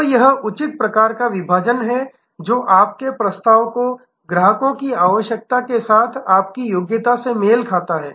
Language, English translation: Hindi, So, this the proper type of segmentation matching your offerings your competencies with customer's requirements